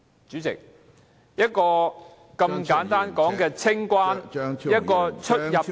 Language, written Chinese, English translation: Cantonese, 主席，一個如此簡單的清關、出入境......, President it is just a simple arrangement for customs and immigration clearance